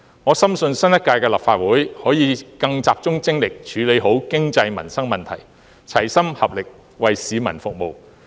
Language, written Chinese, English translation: Cantonese, 我深信新一屆立法會可以更集中精力處理好經濟、民生問題，齊心合力，為市民服務。, I am confident that the next Legislative Council can focus more on economic and livelihood issues and work in concert to serve the public